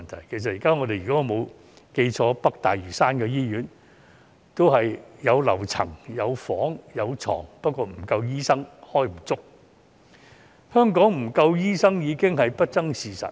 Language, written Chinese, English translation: Cantonese, 如果我沒有記錯，現時北大嶼山醫院也有樓層、有病房、有病床，但沒有足夠醫生，香港醫生不足的問題已經是不爭的事實。, If I remember it correctly the North Lantau Hospital now also has floors wards and beds but there are not enough doctors . It is indisputable that there is a shortage of doctors in Hong Kong